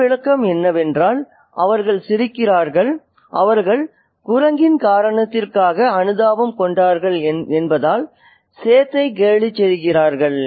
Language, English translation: Tamil, And the other interpretation is that they laugh and they mock the set because they are sympathetic to the cause of the monkey